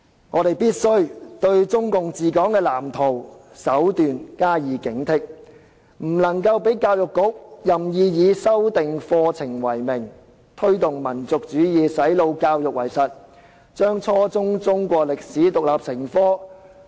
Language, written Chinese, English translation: Cantonese, 我們必須對中共的治港藍圖和手段加以警惕，不能讓教育局任意以修訂課程為名，推動民族主義、"洗腦"教育為實，規定初中中史獨立成科。, We must be vigilant against CPCs blueprints and practices for ruling Hong Kong and we must not allow the Education Bureau to in the name of curriculum revision arbitrarily promote nationalism and brainwashing education by requiring the teaching of Chinese history as an independent subject at junior secondary level